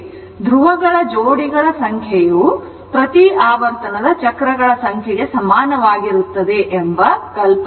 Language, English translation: Kannada, This is the idea that if you have number of pole pairs is equal to number of cycles per revolution